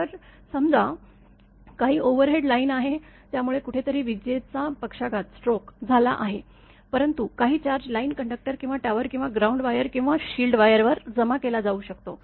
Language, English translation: Marathi, This is say some overhead line; so, lightning stroke has happened somewhere, but some charge may be accumulated on the line conductor or tower or ground wire or shield wire